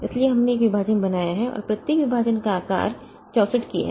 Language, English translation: Hindi, So, we have created each partition of size 64k